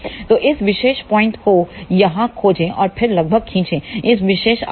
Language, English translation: Hindi, So, locate this particular point here ok and then approximately draw this particular arc